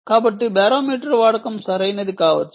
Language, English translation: Telugu, so use of barometer maybe required, right